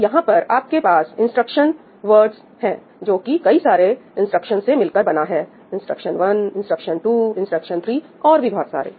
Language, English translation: Hindi, So, here you have instruction words which actually comprise of multiple instructions instruction 1, instruction 2, instruction 3 and so on